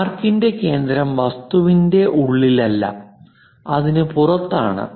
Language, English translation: Malayalam, The center of the arc is not somewhere inside the object somewhere outside